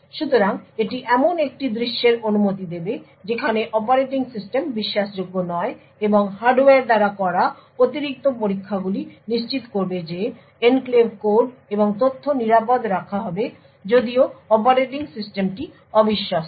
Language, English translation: Bengali, So this would permit a scenario where the operating system is not trusted and the additional checks done by the hardware would ensure that the enclave code and data is kept safe even when the operating system is untrusted